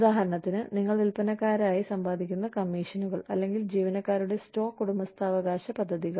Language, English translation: Malayalam, For example, the commissions, you earn as salespersons, or, the employee stock ownership plans